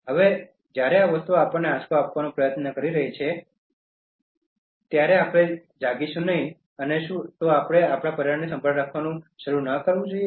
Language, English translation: Gujarati, Now when these things are trying to give us the jolt, won’t we wake up and should we not start caring for our environment